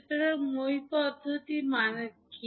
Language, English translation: Bengali, So, what does ladder method means